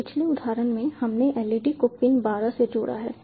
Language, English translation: Hindi, so so in the last example we connected the led to pin twelve